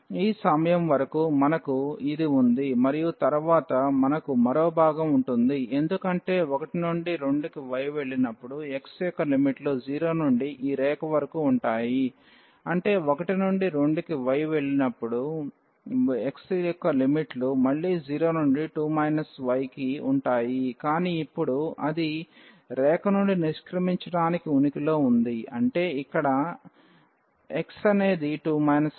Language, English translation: Telugu, So, up to this point we have this and then we will have one more part because when y goes from 1 to 2, then the limits of x will be from 0 to this line; that means, we will have another part here when y goes from 1 to 2 the limits of x will be again from 0 to, but now it exists exit from the line; that means, there x is 2 minus y